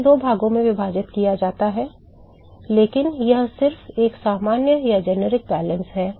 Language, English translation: Hindi, It could be split into two parts, but this is just a generic balance